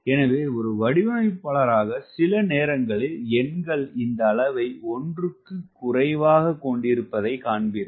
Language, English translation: Tamil, ok, so as a designer, you will find sometime numbers where having this magnitude less than one